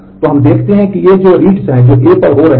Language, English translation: Hindi, So, we see that these are the reads that are happening on A